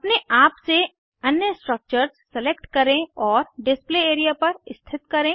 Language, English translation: Hindi, Select and place other structures on the Display area, on your own